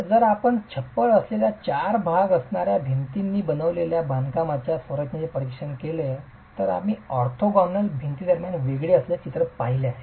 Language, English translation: Marathi, So, if you were to examine a masonry structure as composed of four load bearing walls with a roof and we have seen a picture where separation between the orthogonal walls happens under the effect of lateral forces like earthquakes